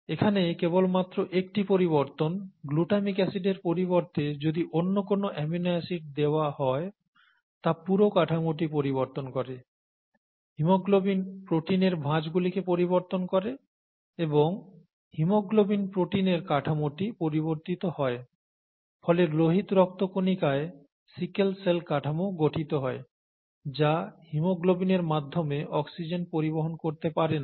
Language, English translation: Bengali, Just one change here, glutamic acid going to some other amino acid, changes the structure, the folding of the haemoglobin protein and thereby changes the structure of the haemoglobin protein, as a result it, I mean, a sickle cell structure of the red blood cell results which is unable to carry oxygen through haemoglobin